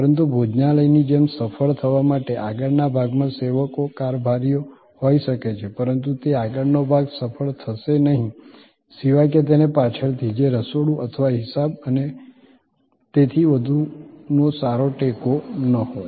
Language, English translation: Gujarati, But, to be successful like in a restaurant, the front may be the servers, the stewards, but that front will not be successful unless it is well supported by the back, which is the kitchen or the accounting and so on